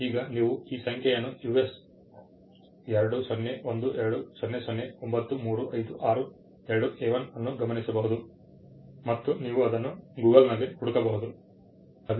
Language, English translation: Kannada, Now you can note this number US 20120093562A1 and you can search it on Google, www